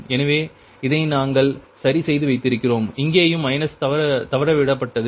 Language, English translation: Tamil, here also minus is missed